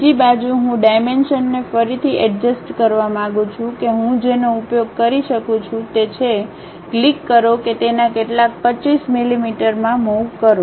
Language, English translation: Gujarati, On the other side, I would like to adjust the dimensions again what I can use is, click that move it to some 25 millimeters